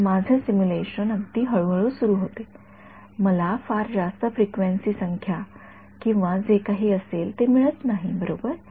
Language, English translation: Marathi, So, my simulation starts very gradually right I do not get encounter very high frequency numbers or whatever right